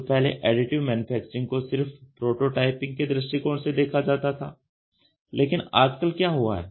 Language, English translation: Hindi, So, earlier Additive Manufacturing was thought of only from the prototyping point of view, today What has happened